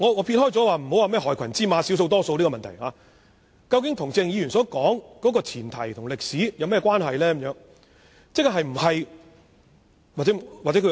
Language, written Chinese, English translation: Cantonese, 撇開涉及害群之馬、少數或多數警員的問題不說，究竟這些事件與鄭議員所說的前提及歷史有何關係？, Putting aside issues such as a black sheep or the number of police officers involved be it big or small what are the relations between these incidents and the premise and history mentioned by Dr CHENG?